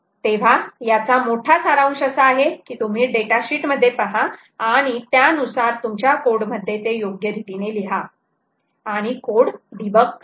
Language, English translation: Marathi, so the big summary here is that you will have to look at the datasheet and accordingly write your code in in an appropriate manner and debug your code